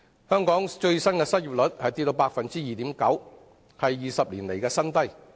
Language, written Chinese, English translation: Cantonese, 香港最新失業率跌至 2.9%， 創20年新低。, Hong Kongs most recent unemployment rate has dropped to 2.9 % the lowest level for 20 years